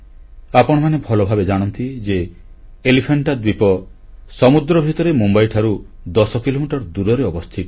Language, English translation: Odia, You all know very well, that Elephanta is located 10 kms by the sea from Mumbai